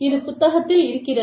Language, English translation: Tamil, Again, this is from the book